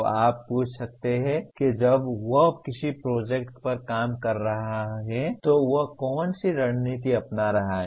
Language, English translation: Hindi, So you can ask what is the strategy that he is going to follow when he is working on a project